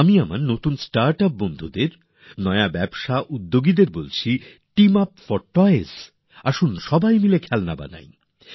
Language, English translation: Bengali, To my startup friends, to our new entrepreneurs I say Team up for toys… let us make toys together